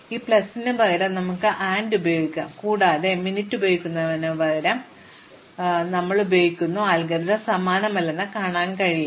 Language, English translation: Malayalam, So, here instead of this plus, we are using AND and instead of using min, we are using OR, you can see that the algorithm is not exactly the same